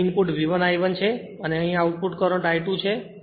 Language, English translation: Gujarati, Input here is V 1 I 1 and output here is current is I 2